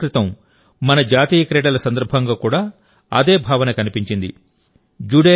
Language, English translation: Telugu, A few days ago, the same sentiment has been seen during our National Games as well